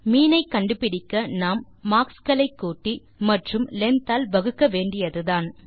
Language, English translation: Tamil, To get the mean, we just have to sum the marks and divide by the length